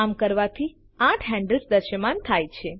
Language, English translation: Gujarati, On doing so, eight handles become visible